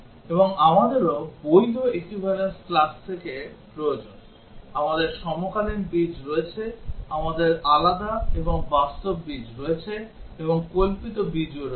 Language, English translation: Bengali, And also we need to from the valid equivalence classes, we have coincident roots, we have distinct and real roots, and also imaginary roots